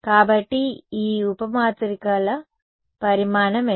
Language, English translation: Telugu, So, what will be the size of these sub matrices